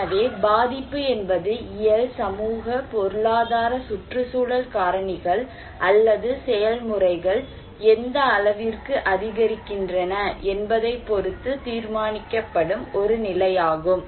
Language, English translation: Tamil, So, vulnerability is that a condition that determined by physical, social, economic environmental factors or process which increases at what extent